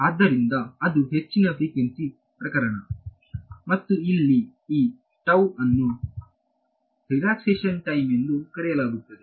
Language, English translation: Kannada, So, that is the high frequency case very high frequency case right and this tau over here is what is called the relaxation time ok